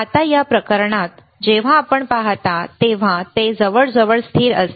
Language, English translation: Marathi, Now in this case, when you see it is almost constant